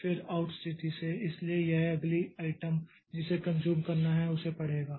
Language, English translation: Hindi, Then from the out position so it will read the next item to be consumed